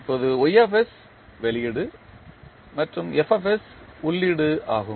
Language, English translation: Tamil, That y s is the output and f s is the input